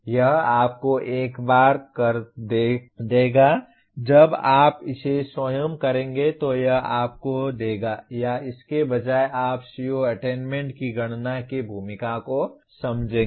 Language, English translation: Hindi, This will give you once you do it by yourself it will give you or rather you will understand the role of computing the CO attainment